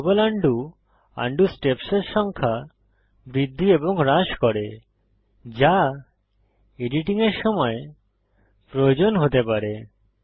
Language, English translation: Bengali, Global undo increases/decreases the number of undo steps that might be required while editing